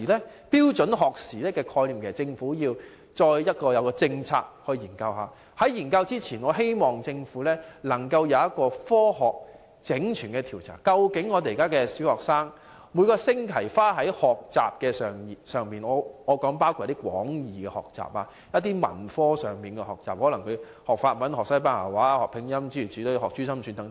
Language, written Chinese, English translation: Cantonese, 關於標準學時的概念，政府應該進行政策研究，而在進行研究前，我希望政府能夠先進行科學性的整全調查，看看現時小學生每星期花在學習的時間——我說的是廣義學習，包括文科各方面的學習，例如學習法文、西班牙文、拼音或珠心算等。, Regarding the concept of standard learning hours the Government should conduct a policy study and before doing so I hope the Government can carry out a holistic scientific study to examine the time spent by primary students weekly―I am referring to learning in a general sense including the study of various arts subjects such as French Spanish phonetics abacus calculation and so on